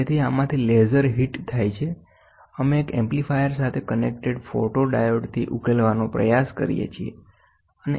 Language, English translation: Gujarati, So, the laser hits from this we try to resolve from the photodiode we connected to an amplifier